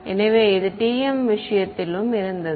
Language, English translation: Tamil, So, this was in the case of Tm